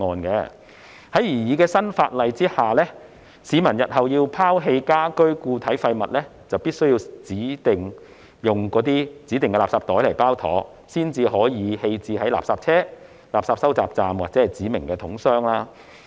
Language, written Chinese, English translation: Cantonese, 在擬議新法例下，市民日後要拋棄家居固體廢物，就必須使用指定的垃圾袋包妥，才能夠棄置在垃圾車、垃圾收集站或指明桶箱。, Under the proposed new legislation members of the public will be required to wrap their domestic solid waste into designated garbage bags in the future before disposing of such waste in refuse collection vehicles refuse collection points or specified bins